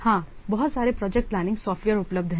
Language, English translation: Hindi, While yes, there are so many work project planning software are available